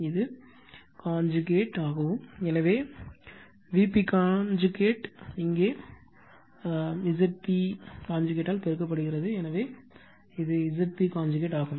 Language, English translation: Tamil, And this is this whole thing is conjugate, so V p conjugate is here divided by Z p conjugate, so this is Z p conjugate right